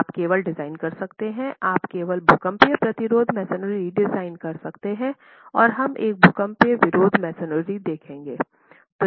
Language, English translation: Hindi, You can only design, you can only design seismic resisting masonry and we will look at what is seismic resisting masonry in a moment